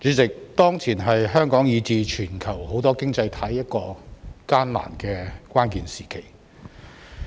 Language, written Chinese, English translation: Cantonese, 主席，當前是香港以至全球許多經濟體一個艱難的關鍵時期。, President this is a difficult and critical period for Hong Kong and many economies in the world